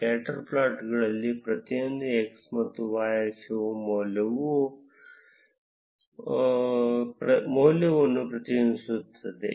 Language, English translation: Kannada, In scatter plots, each of the x and the y axis represents some value